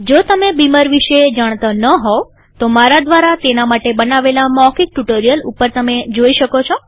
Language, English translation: Gujarati, In case you dont know about Beamer, you may want to see the spoken tutorial on Beamer that I have created